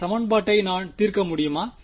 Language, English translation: Tamil, Can I solve this equation